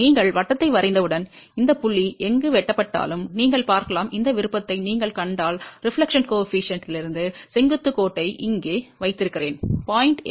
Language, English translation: Tamil, And once you draw the circle, wherever this point is cut, you can see that I have put this thing here vertical line from the reflection coefficient if you see that will give me the reflection coefficient value which is 0